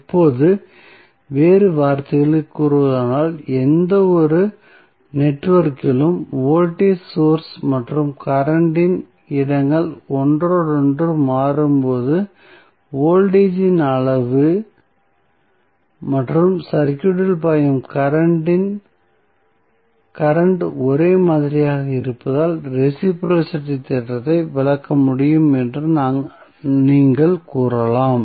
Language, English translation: Tamil, Now, in other words, you can also say that reciprocity theorem can be interpreted as when the places of voltage source and current in any network are interchanged the amount of magnitude of voltage and current flowing in the circuit remains same